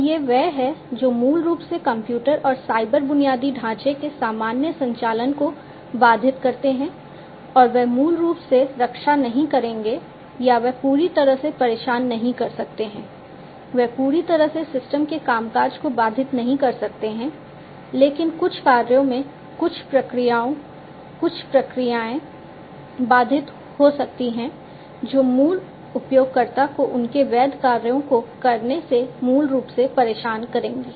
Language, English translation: Hindi, So, these are the ones that basically they disrupt the normal operation of the computers and the cyber infrastructure, and they will they may or they may not basically protect or they may not disturb completely, they may not disrupt the functioning of the system completely but at certain operations, certain procedures, certain processes might be disrupted and that will basically disturb the regular user from performing their legitimate tasks